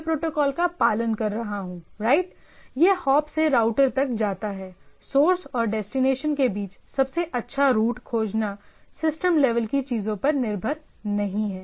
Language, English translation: Hindi, So now, I am following the protocol right it goes on hop to router, it the overall routing business to finding the best path between the source and destination is not primarily dependent on the system level things right